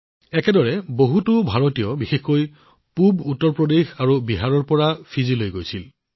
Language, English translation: Assamese, Similarly, many Indians, especially people from eastern Uttar Pradesh and Bihar, had gone to Fiji too